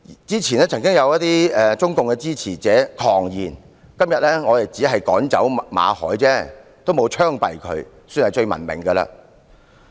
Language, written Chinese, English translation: Cantonese, 之前曾有一些中共支持者狂言，指今天只是趕走了馬凱，並沒有槍斃他，算是最文明的了。, Some days ago some supporters of the Chinese Communists even raved that expelling Victor MALLET and not shooting him was most civilized